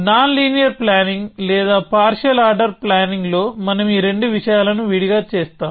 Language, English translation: Telugu, In nonlinear planning or partial order planning, we do these two things separately